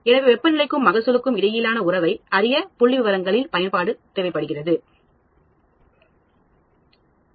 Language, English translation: Tamil, So, I can use statistics to develop a relationship between temperature and yield